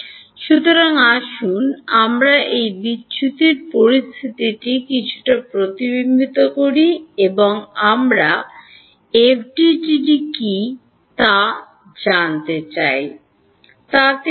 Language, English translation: Bengali, So, let us reflect on this divergence condition a little bit, and we want to find out what is FDTD tell us about this